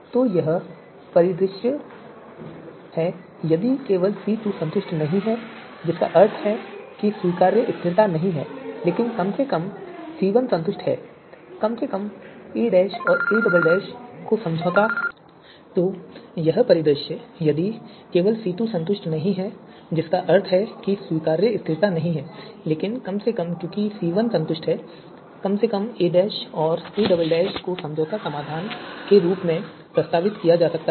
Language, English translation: Hindi, So this is the scenario if only C2 is not satisfied that means acceptable stability is not there but at least you know because C1 is satisfied at least a dash and a double dash you know they can be proposed as the compromise solution